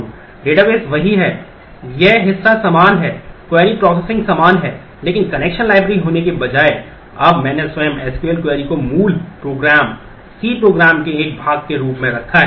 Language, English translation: Hindi, The database is the same; this part is the same; the query processing is same, but instead of having a connection library, now I have put the SQL query itself as a part of the native program, the C program